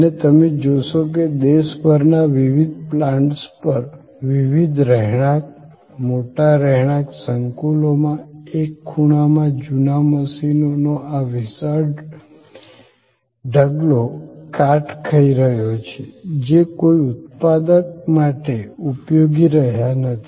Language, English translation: Gujarati, And at various plants across the country, at various residential, large residential complexes, you will find that at one corner there is this huge heap of old machines rusting away, not coming to any productive use